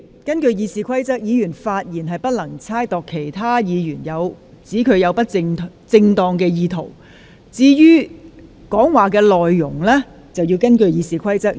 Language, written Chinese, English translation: Cantonese, 根據《議事規則》，議員發言的內容不得意指另一議員有不正當動機，而發言內容亦必須符合《議事規則》的規定。, Under the Rules of Procedure a Member shall not impute improper motives to another Member and the contents of Members speeches must be in line with the Rules of Procedure